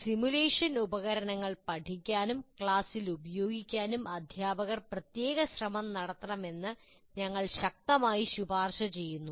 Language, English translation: Malayalam, And what we strongly recommend, teachers must make special effort to learn the simulation tools and use them in the class